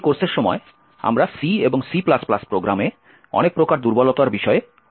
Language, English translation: Bengali, During this course we will be studying a lot of vulnerabilities in C and C++ programs